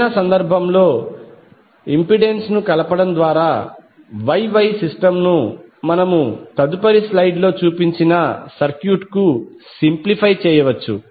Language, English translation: Telugu, In any event by lumping the impedance together, the Y Y system can be simplified to that VF to that circuit which we shown in the next slide